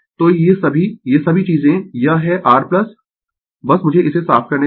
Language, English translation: Hindi, So, all these all these things this is your plus by just let me clear it